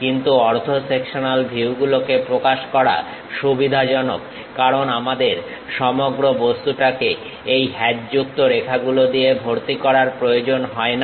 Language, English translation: Bengali, But, representing half sectional views are advantageous because we do not have to fill the entire object by this hatched lines